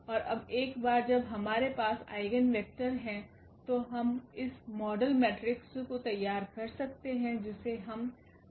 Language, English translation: Hindi, And now once we have the eigenvectors we can formulate this model matrix which we call P